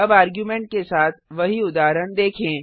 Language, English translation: Hindi, Let us see the same example with arguments